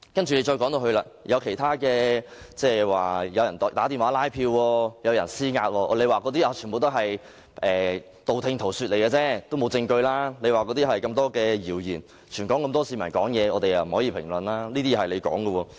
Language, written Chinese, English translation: Cantonese, 接着，我們提出有人打電話拉票、施壓，政府便說這些全是道聽塗說、謠言，沒有證據，又說全港很多市民都會發表意見，不便作出評論。, Then we raised questions about making phone calls to canvass votes or exerting pressures and the Government responded that all those were rumours or hearsay unsubstantiated by evidence . The Government added that many people in Hong Kong had also expressed their opinions about the election and it would be inappropriate to comment on them individually